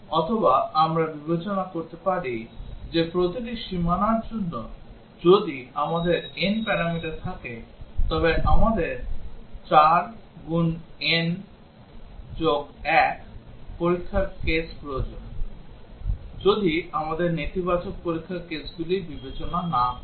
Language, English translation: Bengali, Or we can consider that for each boundary if we have n parameters then we need 4 n plus 1 test cases, if we do not consider negative test cases